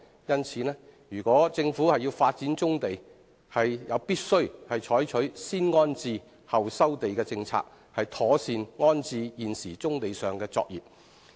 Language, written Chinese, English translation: Cantonese, 因此，如果政府要發展棕地，便必須採取"先安置後收地"的政策，妥善安置現時棕地上的作業。, For this reason if the Government is to develop brownfield sites it must properly resite existing brownfield operations by adopting a policy of resiting before land resumption